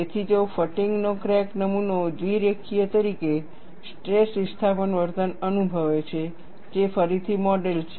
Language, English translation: Gujarati, So, if a fatigue cracked specimen experiences a stress displacement behavior as bilinear, which is the model again